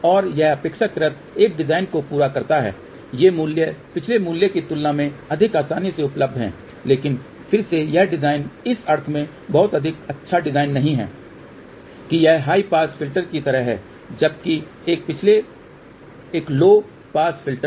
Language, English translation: Hindi, And this relatively completes a design, these values are more readily available compared to the previous value, but again this design is not a very good design in a sense that this is more like a high pass filter whereas, a previous one was low pass filter